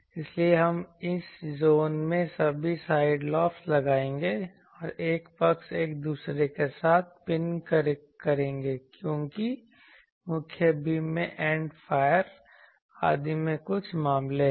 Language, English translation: Hindi, So, we will put all the side lobes in this zone and one side will pin with let us say this one another side because the main beam certain cases in end fire etc